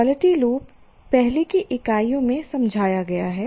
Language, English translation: Hindi, Quality loop we have explained in the earlier units